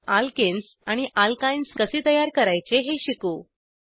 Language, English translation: Marathi, Lets learn how to create alkenes and alkynes